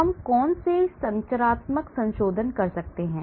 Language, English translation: Hindi, So, what are the structural modifications we can do